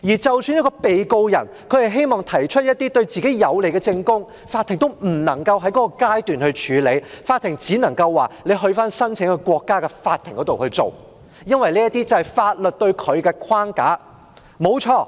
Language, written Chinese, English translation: Cantonese, 即使一名被告人希望提出一些對自己有利的證供，法庭也不能夠在該階段處理，只能夠要求被告人在申請國家的法庭處理，因為這是法律設下的框架。, Even if a defendant wishes to provide certain evidence in his favour the court cannot admit the evidence at this stage and it can only request the defendant to do so in a court of the country making the application . This is a framework designed under the law